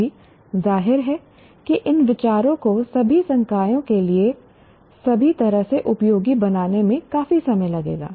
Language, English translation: Hindi, Now, obviously, that will take considerable time for these ideas to kind of calculate all the way to all the way to all faculty